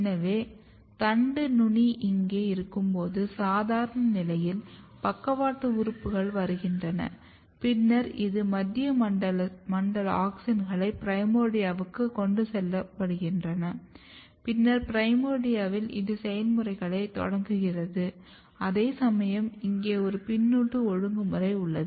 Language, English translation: Tamil, So, under normal condition when your shoot apex is here, you have lateral organs coming, then this is your central zone auxins are getting transported to the primordia and then in primordia it is initiating program whereas, there is a feedback regulation here